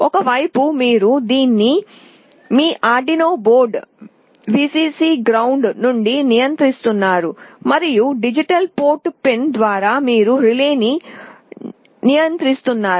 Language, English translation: Telugu, On one side you are controlling this from your Arduino board, Vcc, ground, and through a digital port pin you are controlling the relay